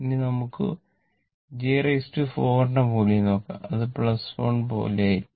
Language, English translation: Malayalam, Actually hence j square is equal to minus 1